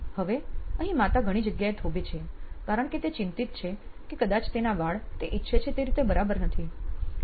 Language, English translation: Gujarati, So, here again mom stops at several places because now she is concerned whether she is probably her hair does not fit in correctly as she wants it to be